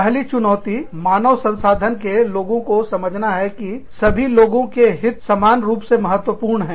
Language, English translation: Hindi, The first challenge is, convincing the HR people, that everybody's interests are, equally important